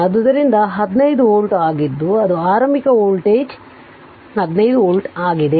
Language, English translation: Kannada, So, that is why it is 15 volt that is the initial voltage it is 15 volt